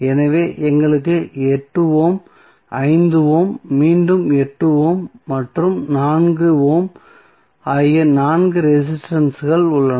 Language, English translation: Tamil, So, we have four resistances of 8 ohm, 5 ohm again 8 ohm and 4 ohm